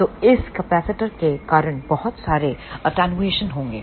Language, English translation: Hindi, So, there will be a lot of attenuation because of these capacitor